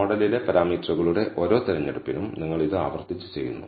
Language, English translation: Malayalam, This you do repeatedly for every choice of the parameters in the model